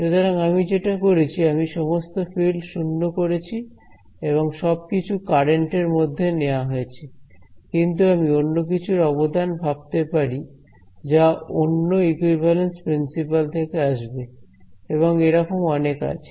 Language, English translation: Bengali, So, what I did I put all the field 0 and everything was absorbed into the current, but I can think of some other contribution will come up with some other equivalence principle right and there are several in the literature